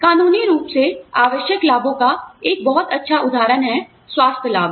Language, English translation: Hindi, One very good example of legally required benefits is health benefits